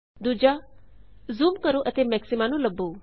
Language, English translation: Punjabi, Zoom and find the maxima